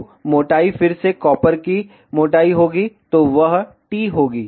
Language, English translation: Hindi, So, thickness will be again copper thickness, so that will be t